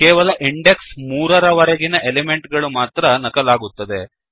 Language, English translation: Kannada, Only the elements till index 3 have been copied